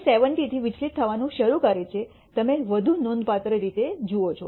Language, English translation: Gujarati, It starts deviating from 70 you see more significantly